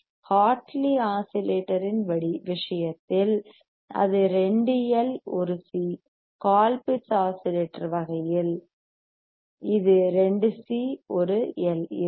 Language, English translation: Tamil, iIn case of Hartley oscillator it will be 2 L;, 1 C,; and in type of Colpitt’s oscillator it will be 2 C and 1 L